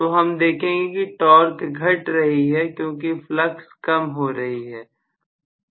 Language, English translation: Hindi, So, we are going to have the torque decreasing because the flux is decreasing